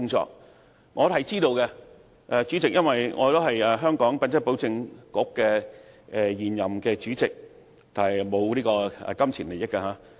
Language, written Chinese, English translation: Cantonese, 這些工作我是知道的，主席，因為我是香港品質保證局的現任主席，但沒有金錢利益。, I am well aware of these efforts . President I am the incumbent Chairman of the Hong Kong Quality Assurance Agency HKQAA but I have no pecuniary interests